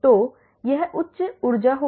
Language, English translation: Hindi, So, that will have higher energy